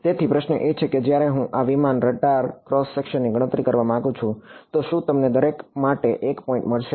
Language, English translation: Gujarati, So, question is when I want to calculate the radar cross section of this aircraft, will you get a point for each